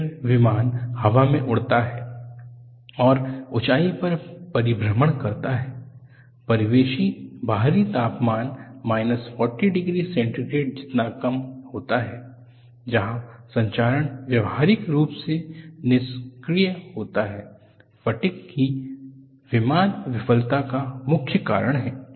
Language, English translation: Hindi, Then the aircraft flies into the air and at cruising altitudes, the ambient external temperature is as low as minus 40 degree centigrade, where corrosion is practically inactive, fatigue is the failure mode for the major part of flight, it is a very nice example